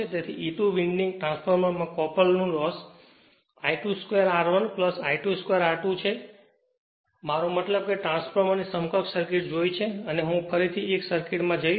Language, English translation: Gujarati, So, copper loss in the 2 winding transformer are I 2 square R 1 plus I 2 square R 2, I mean we have seen the equivalent circuit of the transformer and I am going back to 1 circuit right